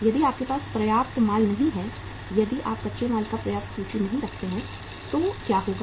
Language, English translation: Hindi, If you do not have the sufficient inventory of the, if you do not keep the sufficient inventory of the raw material what will happen